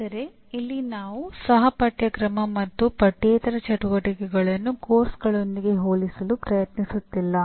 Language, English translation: Kannada, But here we are not trying to compare co curricular and extra curricular activities with the courses as of now